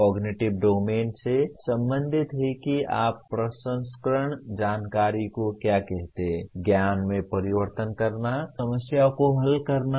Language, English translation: Hindi, Cognitive domain is concerned with what do you call processing information, converting into knowledge, solving problems